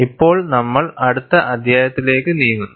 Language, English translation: Malayalam, Now, we move on to the next chapter